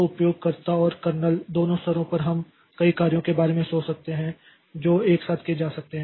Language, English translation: Hindi, Now, so at both user level and kernel level, we can think about multiple tasks that can go simultaneously